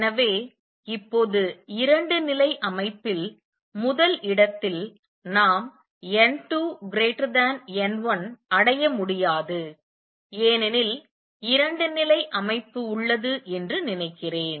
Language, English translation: Tamil, So, now number one in a two level system, we cannot achieve n 2 greater than n 1 why suppose there is a two level system